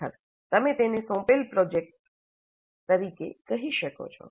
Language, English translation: Gujarati, Actually you can call this assigned projects